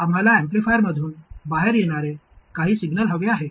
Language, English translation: Marathi, We want some signal to come out of the amplifier